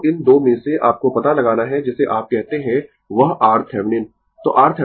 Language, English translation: Hindi, So, across these 2 you have to find out what is your what you call that your R Thevenin